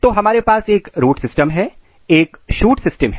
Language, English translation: Hindi, This is root, so we have a root system, we have a shoot system